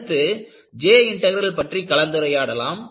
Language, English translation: Tamil, Next you will have a discussion on J Integral